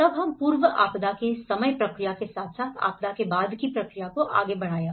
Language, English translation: Hindi, Then we moved on with the timeline process of pre disaster to the post disaster process